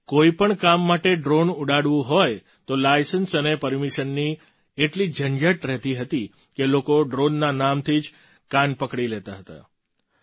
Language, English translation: Gujarati, If you have to fly a drone for any work, then there was such a hassle of license and permission that people would give up on the mere mention of the name of drone